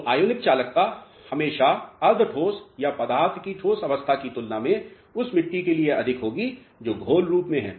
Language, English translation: Hindi, So, ionic conductivity will always be more for a soil which is in a slurry form as compared to a semi solid or a solid state of the material